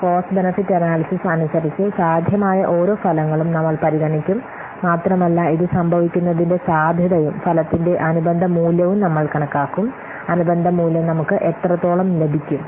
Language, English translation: Malayalam, So, according to cost benefit analysis, we will consider each possible outcome also will estimate the probability of its occurring and the corresponding value of the outcome, how much benefit we will get the corresponding value